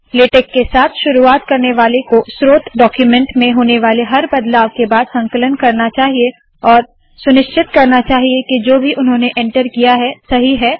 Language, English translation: Hindi, The beginners of latex should compile after every few changes to the source document and make sure that what they have entered is correct